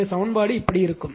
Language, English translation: Tamil, So, your equation will be like this right